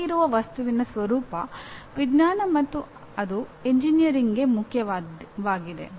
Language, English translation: Kannada, And what is the nature of that thing that exists outside is science and that is important to engineering